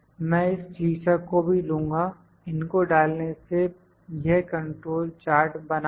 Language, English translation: Hindi, I will also pick these title, insert it has made this control chart